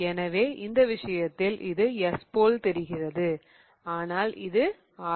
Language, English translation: Tamil, So, in this case, this looks like S, but it is R